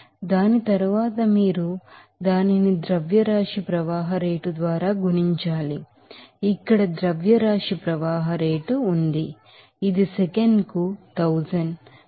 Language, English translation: Telugu, So, after that you have to multiply it by mass flow rate that is here what is that mass flow rate here m dot here it is given as, what is that 1000, 200 kg per second